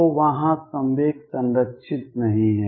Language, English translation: Hindi, So, there is the momentum is not conserved